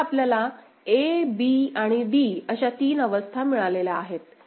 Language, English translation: Marathi, So, now, we have got three states a, b and d, a b and d